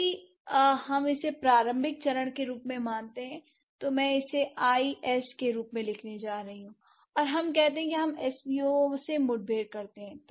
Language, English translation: Hindi, If we consider it as the initial stage, I'm going to write it as IS and let's say if S V O is, we encounter S V O